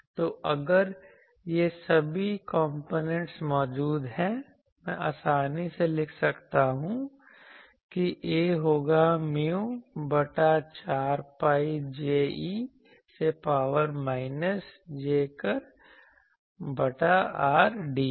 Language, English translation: Hindi, So, if all these components are present; I can easily write that A will be mu by 4 pi J e to the power minus jkr by r dv dash